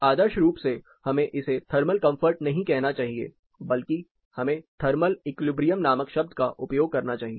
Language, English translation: Hindi, Ideally we should not be calling this as thermal comfort, but we must be using a term called Thermal Equilibrium